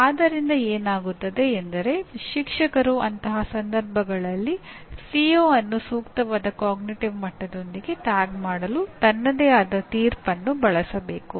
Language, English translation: Kannada, So what happens is the teacher should use his or her own judgment in such cases to tag the CO with appropriate cognitive level